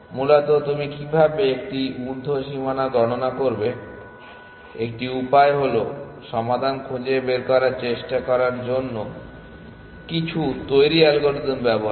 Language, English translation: Bengali, Essentially, how do you compute an upper bound, one way is to use some ready algorithm to try to find the solution